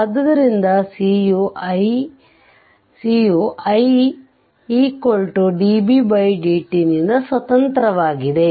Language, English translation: Kannada, Therefore, i is equal to c into db by dt right